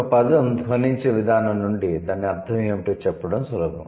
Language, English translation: Telugu, From the way a word sounds it is easy to tell what it means